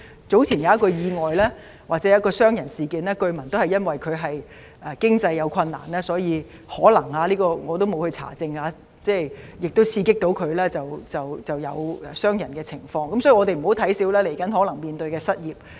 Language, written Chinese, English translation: Cantonese, 早前有一宗意外——或傷人事件——據聞涉案人士有經濟困難，可能他因此——我沒有查證——受刺激而傷人，所以，我們不要小看未來可能出現的失業問題。, There was an incident earlier an assault case . The attacker was allegedly I did not do a fact check in economic difficulties which possibly had led him to assault another person . So we should not take the problem of unemployment lightly which will likely be a problem in the future